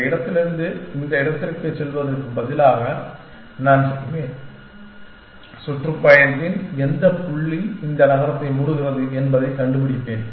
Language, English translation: Tamil, Instead of going from this place to this place but, I will do is that, I will find out which point in the tour is closes to this city